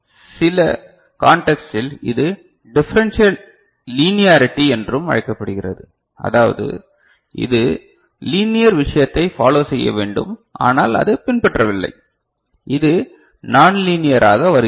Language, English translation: Tamil, So, in some context, it is also called differential linearity, I mean it should follow linear thing, but it is not following, so it is becoming non linear